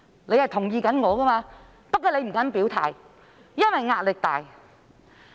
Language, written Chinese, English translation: Cantonese, 你是同意我的，但你不敢表態，因為壓力大。, You agree with me but you dare not make your position clear as you are under immense pressure